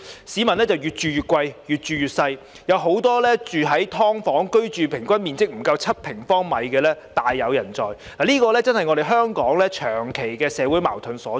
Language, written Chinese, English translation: Cantonese, 市民越住越貴，越住越細，很多人居住在平均面積不足7平方米的"劏房"，而這正是香港長期的社會矛盾所在。, While members of the public have to pay more for flats their living space is getting smaller and smaller . Many of them are living in subdivided units with an average area of less than 7 sq m This is precisely where Hong Kongs long - term social conflict lies